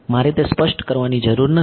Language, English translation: Gujarati, I do not need to explicitly